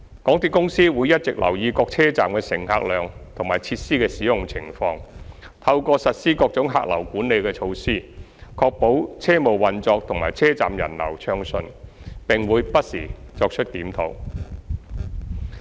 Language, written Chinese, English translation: Cantonese, 港鐵公司會一直留意各車站的乘客量和設施的使用情況，透過實施各種客流管理措施，確保車務運作及車站人流暢順，並會不時作出檢討。, MTRCL has been monitoring the patronage and the usage of facilities in various stations and will adopt various patronage management measures to ensure smooth train operations and passenger flow . These measures will be reviewed from time to time